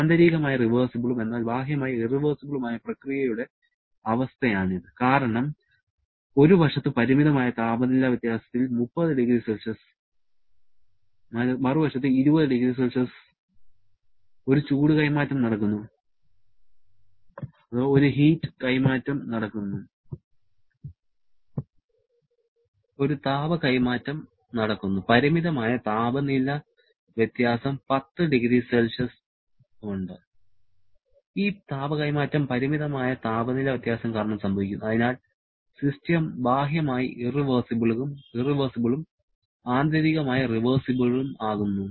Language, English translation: Malayalam, This is the situation of internally reversible but externally irreversible process because there is a heat transfer taking place with finite temperature difference 30 degree on one side, 20 degree on the other side, there is a finite temperature difference of 10 degree Celsius and this heat transfer is taking place because of the finite temperature difference, so the system is externally irreversible but internally reversible